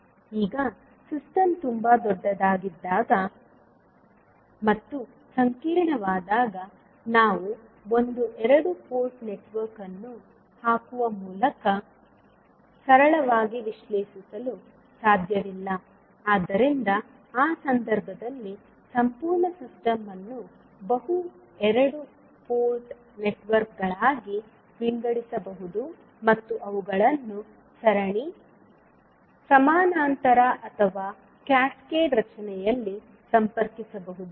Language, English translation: Kannada, Now, when the system is very large and complex, we cannot analyse simply by putting one two port network, so in that case it is required that the complete system can be subdivided into multiple two port networks and those can be connected either in series, parallel or maybe in cascaded formation